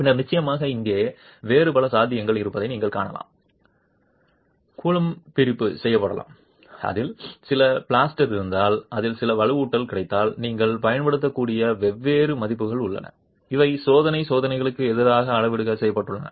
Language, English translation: Tamil, And then of course you can see there are many other possibilities here if there are if it is grouted, if it has some plaster which has got some reinforcement, there are different values that you can use and these have been calibrated against experimental tests